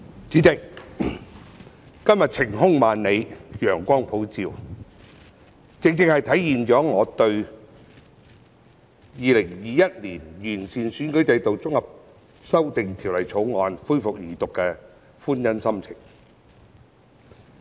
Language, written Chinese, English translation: Cantonese, 主席，今天晴空萬里，陽光普照，正正體現了我對《2021年完善選舉制度條例草案》恢復二讀辯論的歡欣心情。, President today is a sunny day with a clear blue sky and this precisely reflects my joy at the resumption of the Second Reading debate on the Improving Electoral System Bill 2021 the Bill